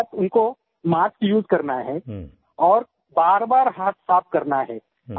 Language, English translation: Hindi, Secondly, one has to use a mask and wash hands very frequently